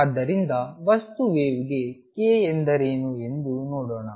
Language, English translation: Kannada, So, let us see what is k for material wave